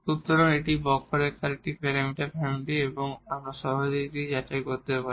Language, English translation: Bengali, So, this is a one parameter family of curves and we one can easily verify that